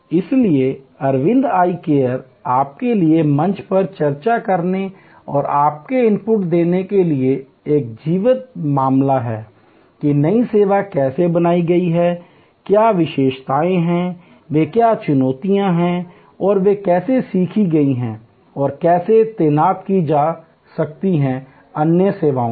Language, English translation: Hindi, So, Aravind Eye Care is a live case for you to study and discuss on the forum and give your inputs that how the new service has been created, what are the features, what are the challenges they have met and how those learning’s can be deployed in other services